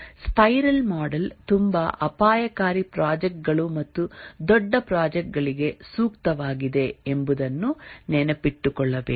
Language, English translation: Kannada, But then need to remember that the spiral model is suitable for very risky projects and large projects